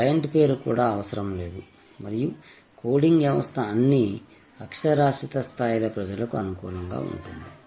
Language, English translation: Telugu, The client name is not even needed and the coding system is suitable for people of all literacy level